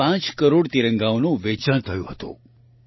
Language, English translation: Gujarati, 5 crore tricolors were sold through 1